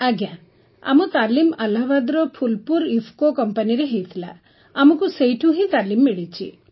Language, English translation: Odia, Ji Sir, the training was done in our Phulpur IFFCO company in Allahabad… and we got training there itself